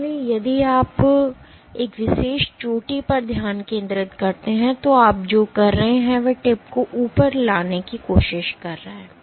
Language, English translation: Hindi, So, if you focus on one particular peak, what you are doing is you are trying to bring the tip up, up, up